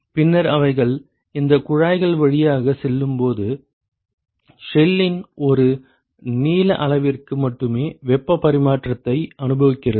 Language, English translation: Tamil, And then when they go through these tubes they experience heat exchange only for one length scale of the shell